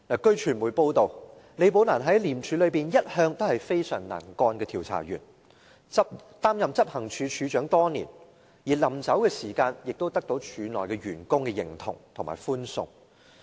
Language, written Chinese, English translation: Cantonese, 據傳媒報道，李寶蘭在廉署內一向是非常能幹的調查員，擔任執行處處長多年，而離職時亦得到署內員工的認同和歡送。, It has been reported that Ms LI was a very capable investigator in ICAC . She has been in the acting post of Head of Operations for years . Her work was well recognized by her colleagues who bid her farewell when she left ICAC